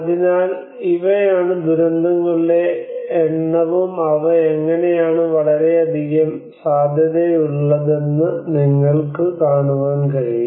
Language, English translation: Malayalam, So you can see that these are the number of disasters and how they are very much prone